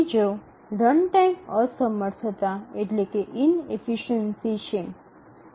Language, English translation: Gujarati, The second is runtime inefficiency